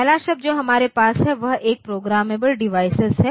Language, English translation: Hindi, So, first term that we have is a programmable device